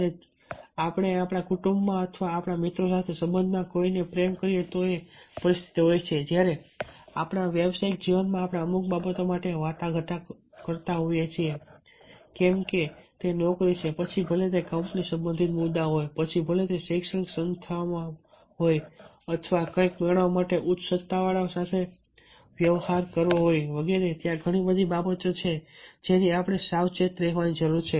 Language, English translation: Gujarati, if that is the situation, but if for our prefes in our professional life, when we are negotiating for certain things, whether to job, whether its company related issues, whether its in educational organizations, to ah deal with higher authority to get something approved or done, then of course lot, many things are there which we have to be careful